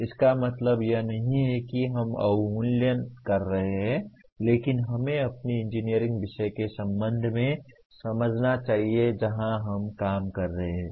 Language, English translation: Hindi, It does not mean that we are devaluing but we should understand with respect to our engineering subject where exactly we are operating